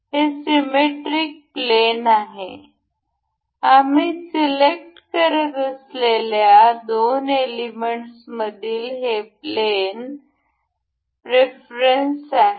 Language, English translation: Marathi, This is symmetry plane; this is the plane preference that is between the two elements that we will be selecting